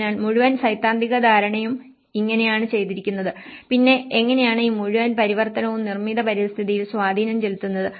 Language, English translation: Malayalam, So, this is how the whole theoretical understanding has been done and then again how this whole transformation has an impact on the built environment